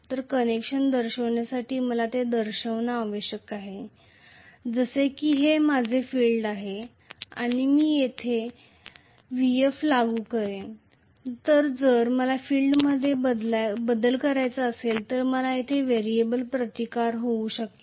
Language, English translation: Marathi, So to show the connection I should show it as though this is my field and I will apply Vf here, maybe I can have a variable resistance here if I want to vary the field so this is F1 this is F2, right